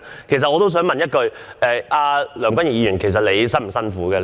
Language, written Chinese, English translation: Cantonese, 其實我也想問一句：梁君彥議員，這幾天你辛苦嗎？, Actually I would like to ask Mr Andrew LEUNG were you tired in the past few days?